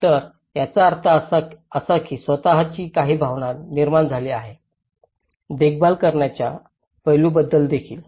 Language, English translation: Marathi, So, that means that has created some sense of ownness also talks about the maintenance aspect